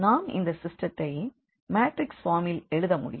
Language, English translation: Tamil, So, we can write down the system in the matrix form as well